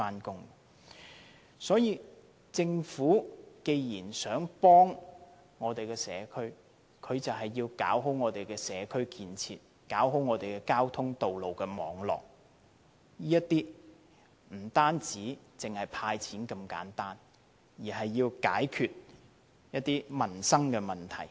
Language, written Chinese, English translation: Cantonese, 既然政府想幫助北區的居民，就要做好社區建設，做好交通道路網絡，不單是"派錢"那麼簡單，而是要解決民生的問題。, If the Government wants to help residents of North District it should do a good job in providing community facilities and a good transport and road network . It should not simply hand out money; instead it should also solve livelihood problems